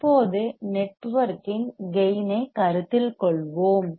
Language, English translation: Tamil, Now let us consider the gain of the network